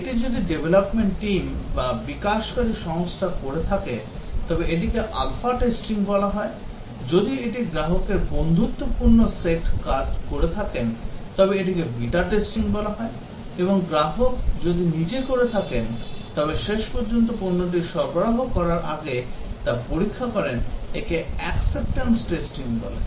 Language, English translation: Bengali, If it is develop the development team or the developing organization who does the testing is called as the Alpha testing if it is a friendly set of customer it Beta testing and if it is the customer who finally before accepting delivery of the product does the test that is called as the Acceptance testing